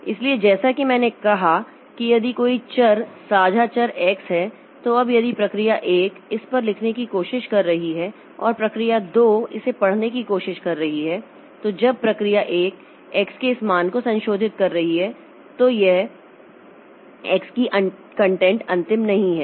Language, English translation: Hindi, So, as I said that if there is a variable shared variable x, now if process 1 is trying to write onto this and process 2 is trying to read this, then when process 1 is modifying this value of x, then this content of x is not final